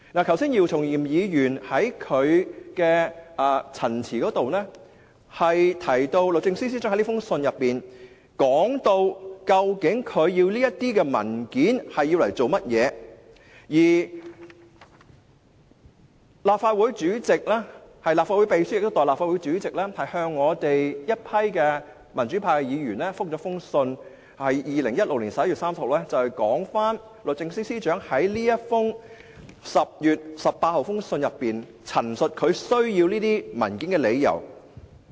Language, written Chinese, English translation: Cantonese, 剛才姚松炎議員在他的陳辭中提到，律政司司長在這封信中提出他要求提供這些文件的原因，而立法會秘書亦代立法會主席，於2016年11月30日回覆我們民主派議員，有關律政司司長在10月18日的信件中陳述他需要這些文件的理由。, Just now Dr YIU Chung - yim mentioned the reasons stated by the Secretary for Justice in this letter for requesting the documents; and the Clerk to the Legislative Council also gave a reply to us the democratic Members on behalf of the President on 30 November 2016 relaying the reasons for requesting the documents stated by the Secretary for Justice in his letter dated 18 October